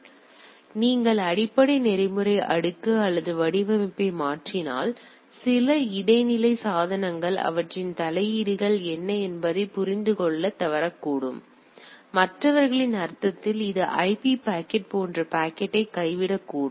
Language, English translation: Tamil, So that means, if you if you if we change the basic protocol stack or the format; then some of the intermediate devices may fail to understand that what is what is their interventions; in others sense it may drop the packet like say IP packet